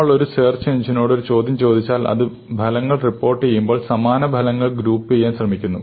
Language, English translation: Malayalam, If you ask a question to a search engine and it reports results, typically it tries to group together results which are similar because they are not really different answers